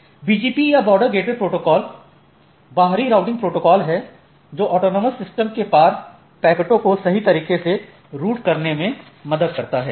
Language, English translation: Hindi, So, BGP or the border gateway protocol is this exterior this routing protocol, which helps in routing packets across autonomous systems right